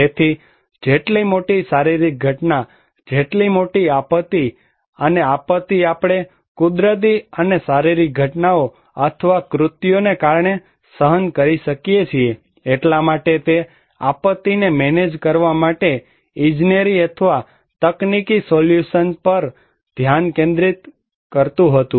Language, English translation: Gujarati, So, as simple the bigger the physical event, the bigger the disaster and the disaster we are facing because of natural and physical events or acts, so it was the focus was much on engineering or technocratic solutions to manage disaster